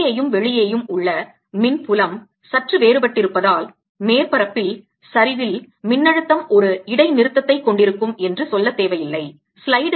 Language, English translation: Tamil, needless to say, since the electric field inside and outside is slightly different, the potential is going to have a discontinuity in the slope at the surface